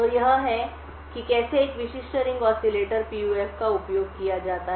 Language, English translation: Hindi, So, this is how a typical Ring Oscillator PUF is used